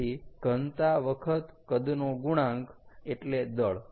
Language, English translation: Gujarati, so density times volume is mass